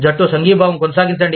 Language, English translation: Telugu, Maintain, team solidarity